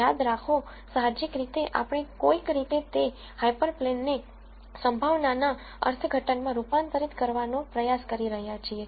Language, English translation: Gujarati, Remember intuitively somehow we are trying to convert that hyper plane into probability interpretation